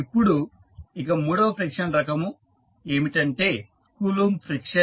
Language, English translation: Telugu, Now, the third friction type is Coulomb friction